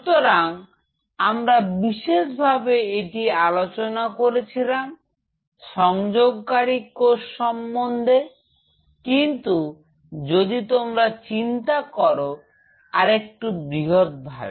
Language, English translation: Bengali, So, we have exclusively talked about the adhering cells, but just if you think of its little bit louder on this